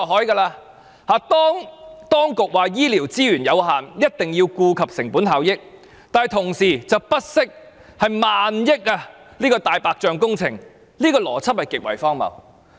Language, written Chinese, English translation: Cantonese, 政府說醫療資源有限，一定要顧及成本效益，但同時卻不惜建造萬億元的"大白象"工程，這個邏輯極為荒謬。, The Government says on the one hand that it must consider the cost - effectiveness because health care resources are limited but on the other hand it does not hesitate to take forward those white elephant projects costing thousand billion dollars . How ridiculous this logic is!